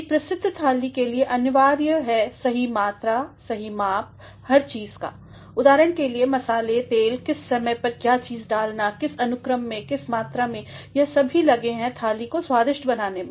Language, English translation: Hindi, As a famous dish requires a proper amount, a proper measure of everything say, for example, the spices, the oil, the timeliness of when to put what, in what order, in what measure; all that have gone to make the dish very delicious